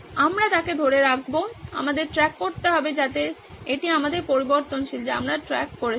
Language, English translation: Bengali, We will make him retain, we need to track that so that’s our variable that we are tracking